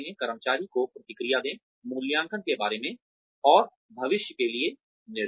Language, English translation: Hindi, Give feedback to the employee, regarding appraisal, and directions for the future